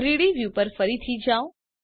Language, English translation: Gujarati, Go to the 3D view